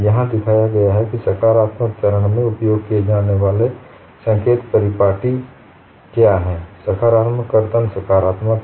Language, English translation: Hindi, And what is shown here is what is the sign convention used on a positive phase, positive shear is positive